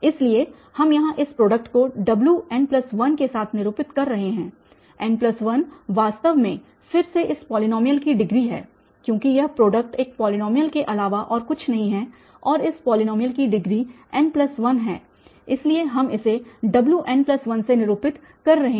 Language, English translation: Hindi, So, this product here we are denoting with the Wn plus 1, n plus 1 is actually the degree of this polynomial again because this product is nothing but a polynomial and that degree of this polynomial is n plus 1 so we are we are denoting this by W n plus 1